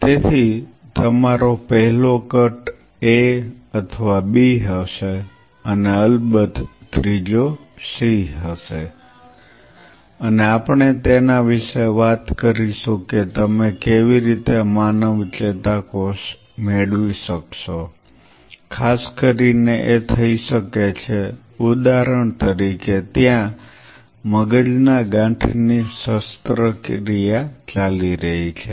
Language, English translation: Gujarati, So, your first cut will be A or B and of course, the third one will be c and we will talk about it how you can obtain the human neuron especially this can happen, if say for example, there is a brain tumor surgery which is going on